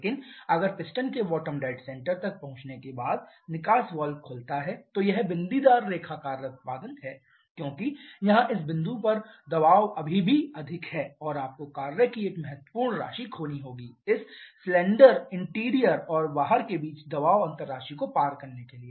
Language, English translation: Hindi, But if the exhaust valve is open at the bottom at after the piston reaches the bottom dead center then this dotted line is the corresponding work output, because here the pressure at this point is still higher and you have to lose a significant amount of work to overcome this amount of pressure difference between the in cylinder in interior and the outside